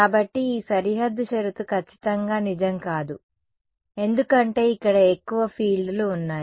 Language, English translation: Telugu, So, this boundary condition will not be strictly true because there are more fields over here